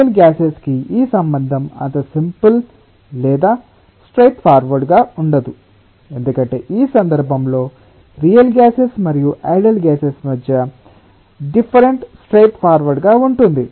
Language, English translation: Telugu, the relationship is not as simple or straight forward as this one for real gases, because for the difference between the real gas and the ideal gas in this context is straight forward